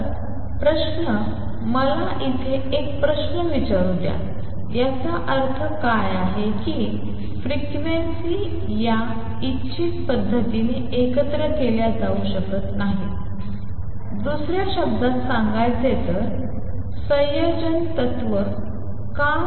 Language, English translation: Marathi, So, question so, let me there is a question here what does it mean that frequencies cannot be combined in a random manner, in other words why the combination principle